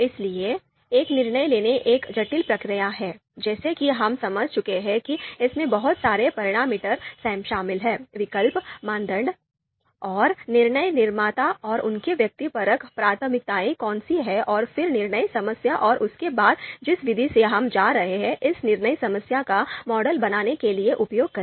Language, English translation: Hindi, So a decision making is a complex process as we have understood there are so many parameters involved: alternatives, criterias, and who is the decision maker and their subjective preferences and then the decision problem itself and then and then the method that we are going to use to you know you know to model this decision problem